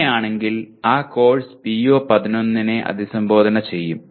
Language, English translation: Malayalam, In that case that course obviously will address PO 11